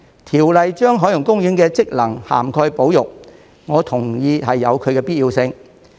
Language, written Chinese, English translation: Cantonese, 《條例草案》把海洋公園的職能涵蓋保育，我同意有其必要性。, I agree to the need to include conservation in the functions of OP as proposed in the Bill